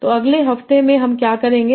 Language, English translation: Hindi, So in the next week what we will do